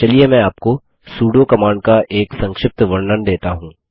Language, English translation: Hindi, Let me give you a brief explanation about the sudo command